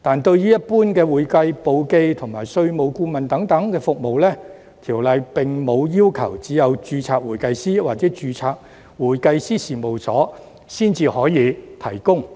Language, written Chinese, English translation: Cantonese, 對於一般的會計簿記及稅務顧問等服務，《條例》並無要求只有註冊會計師或註冊會計師事務所才可以提供。, With regard to general accounting bookkeeping and tax consultant services the Ordinance does not require that such services can only be provided by certified accountants or registered public accounting firms